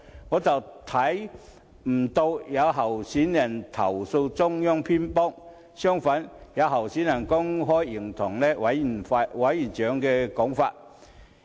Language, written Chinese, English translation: Cantonese, 我非但不見有候選人投訴中央偏幫，反而留意到有候選人公開認同委員長的說法。, Instead of hearing any candidates complaining about the Central Authorities having a biased stance I have noticed a certain candidate openly echoing the views of the NPCSC Chairman